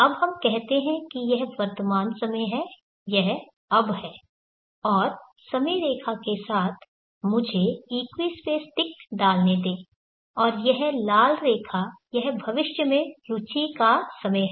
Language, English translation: Hindi, Now let us say this is the present time, this is now and along the time line let me put the equi space ticks and this red line here is a future time of interest